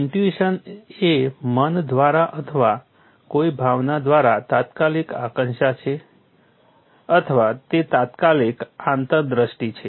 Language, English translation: Gujarati, Intuition is immediate apprehension by the mind or by a sense or it is an immediate insight